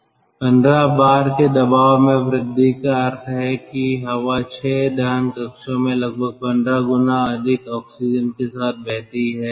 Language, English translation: Hindi, a pressure increase of fifteen bar means the air flows into the six combustion chambers with around fifteen times more oxygen